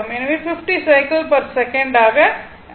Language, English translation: Tamil, So, 50 cycles per second